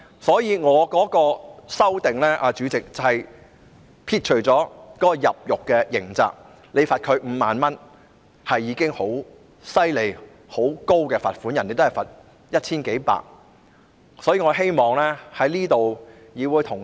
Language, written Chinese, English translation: Cantonese, 所以，主席，我的修正案旨在刪除入獄的刑責，因為罰款5萬元已經是很高的罰則，外國也只是罰款數百元或千多元而已。, Therefore Chairman my amendment seeks to delete the penalty of imprisonment because a fine of 50,000 is already a very heavy penalty whereas in overseas countries the fine is only a few hundred dollars or some 1,000